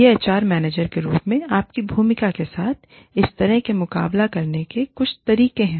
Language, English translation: Hindi, These are some of the ways of coping with this, in your role as an HR manager